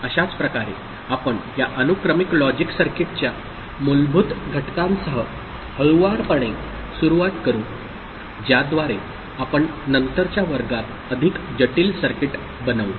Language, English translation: Marathi, So, similarly we shall start softly with basic components of this sequential logic circuit by which we shall make more complex circuit in the a later classes, ok